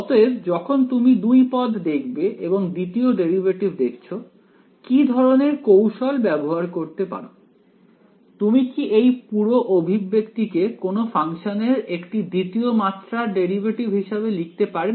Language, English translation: Bengali, So, when you see a two term and the second derivative what kind of a trick could you play, could you write this whole expression as the second order derivative of something of some function